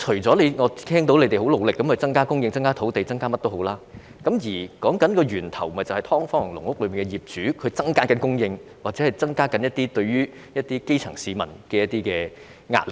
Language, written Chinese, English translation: Cantonese, 我聽到官員表示已很努力增加房屋供應、增加土地、增加這樣那樣，但問題的源頭是"劏房"和"籠屋"業主不斷增加供應，加添對基層市民造成的壓力。, I have been told by public officers that they have been trying hard to increase the supply of housing land and so on and so forth but the root cause of the problem lies in the continuous increase in the supply of subdivided units and caged homes by their owners thus putting increasing pressure on the grass roots